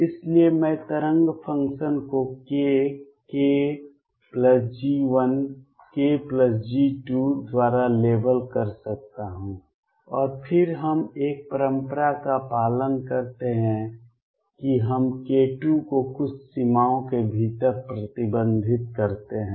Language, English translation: Hindi, So, I could label the wave function by either k k plus G 1 k plus G 2 and then we follow a convention that we restrict k 2 within certain boundaries